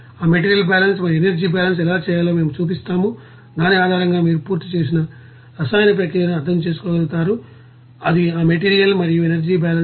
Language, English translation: Telugu, And we will show that how to do that material balance and energy balance and based on which you will be able to understand that complete set of chemical process and it is material and energy balance